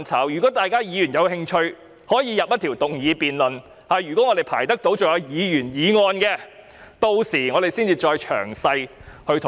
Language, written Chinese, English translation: Cantonese, 如果議員有興趣，可以提出一項議員議案進行辯論，我們屆時將可以詳細討論。, If Members are interested they can propose a Members motion for debate and we will then be able to discuss it in detail